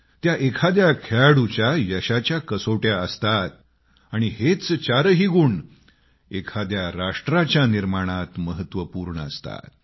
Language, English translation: Marathi, They are the ultimate test for a sportsperson's mettle… all four of these virtues form the core foundation of nation building universally